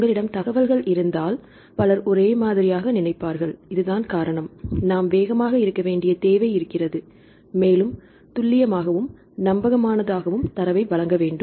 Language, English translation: Tamil, If you have some information immediately several people will think in a same way, this is the reason we need to be very fast and we very accurate and we have to provide reliable data